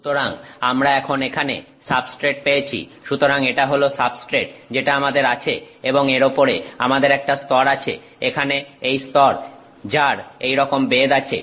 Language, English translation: Bengali, So, we have now got substrate here; so, this is the substrate that we had and on top of this you have got a layer, this layer here which is of this thickness